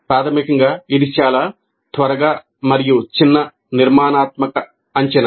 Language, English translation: Telugu, So basically, it's a very quick and short, formative assessment